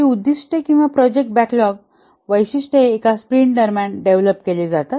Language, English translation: Marathi, These are the objectives or the subset of features of the product backlog will be developed during one sprint